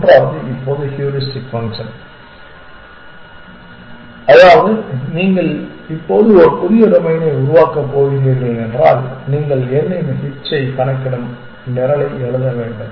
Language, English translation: Tamil, The third is now the heuristic function which means that if you are going to now create a new domain you must write the program which will compute h of n